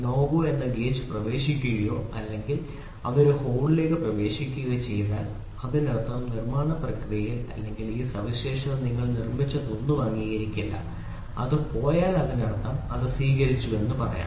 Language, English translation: Malayalam, If my gauge of NO GO enters into or if it enters into a hole then; that means to say this manufacturing process or this feature whatever you have made is not accepted, if it goes then; that means, to say it is accepted